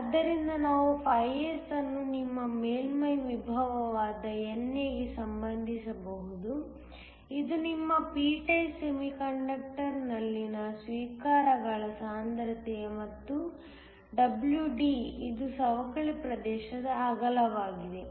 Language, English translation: Kannada, So, we can relate S, which is your surface potential to NA, which is the concentration of acceptors within your p type semiconductor and also WD, which is the width of the depletion region